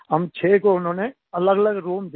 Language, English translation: Hindi, All six of us had separate rooms